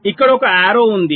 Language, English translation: Telugu, there is an arrow here, there is an arrow here